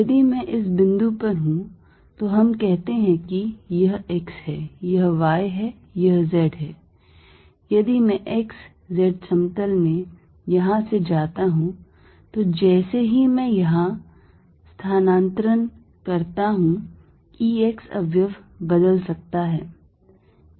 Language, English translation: Hindi, So, if I am at this point let us say this is x, this is y, this is z if I go from here in the x z plane, the E x component may changes as I move here